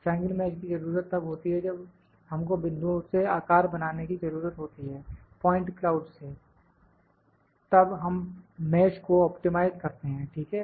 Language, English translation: Hindi, Triangle mesh is required when we need to produce the shape from the points, from the point cloud; then we optimize the mesh, ok